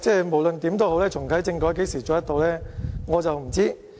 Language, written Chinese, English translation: Cantonese, 無論如何，重啟政改何時可以做到，我不知道。, Anyway I have no idea when the constitutional reform can be reactivated but Dr KWOK Ka - ki you have succeeded